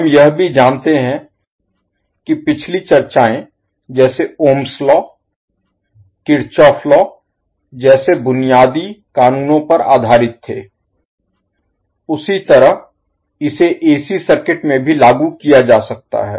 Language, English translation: Hindi, Now we also know, that the previous discussions we had based on basic laws like ohms law Kirchhoff’s law, the same can be applied to AC circuit also